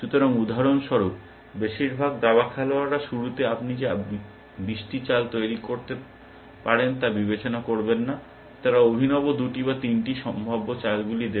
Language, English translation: Bengali, So, most chess players for example, would not even consider all the twenty moves that you can make at the starting point, they would have a fancy for two or three different possible moves